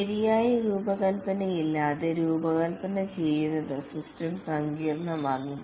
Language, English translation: Malayalam, Designing without proper design, the system becomes complex